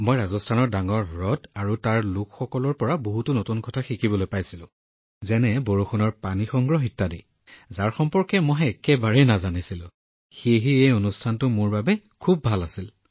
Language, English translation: Assamese, I got to learn many new things about the big lakes of Rajasthan and the people there, and rain water harvesting as well, which I did not know at all, so this Rajasthan visit was very good for me